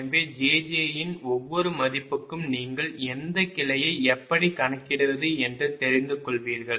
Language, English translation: Tamil, so for each value of jj you will be knowing which branch and how to compute this one right